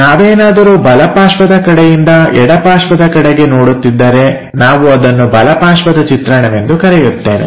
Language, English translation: Kannada, If we are looking from right side towards left side that view what we call right side view